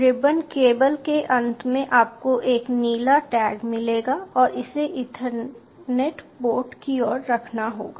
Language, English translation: Hindi, before the end of the ribbon cable you will find a blue tag and that has to be placed facing towards the ethernet port